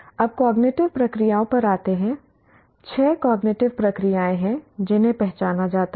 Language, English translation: Hindi, Now coming to cognitive processes, there are six cognitive processes that are identified